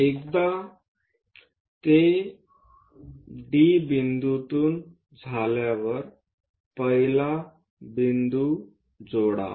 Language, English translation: Marathi, Once it is done from D point connect first point